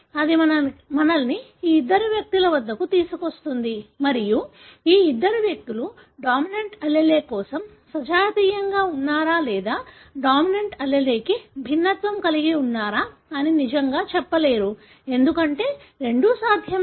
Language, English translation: Telugu, That brings us to these two individuals and these two individuals really will not be able to tell whether they are homozygous for the dominant allele or heterozygous for the dominant allele, because both are possible